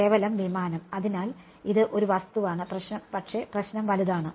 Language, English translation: Malayalam, Just the aircraft right; so, it is just the object, but the problem is dense